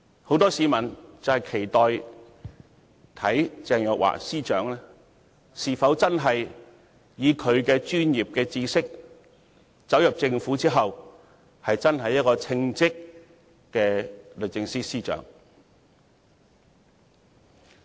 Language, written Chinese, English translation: Cantonese, 很多市民都期望看看鄭若驊女士進入政府後，是否真的能憑着她的專業知識，成為稱職的律政司司長。, Many members of the public are eager to see whether Ms Teresa CHENG can really become a competent Secretary for Justice by virtue of her professional knowledge after joining the Government